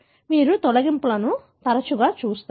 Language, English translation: Telugu, That is how more often you see deletions